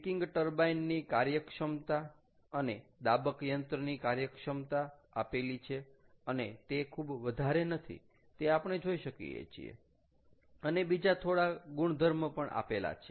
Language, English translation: Gujarati, the peaking turbine efficiencies and the compressor efficiency, both are given and they are not very high as we can see, ok, and then a few properties are given